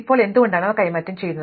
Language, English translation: Malayalam, Now, why they would be exchange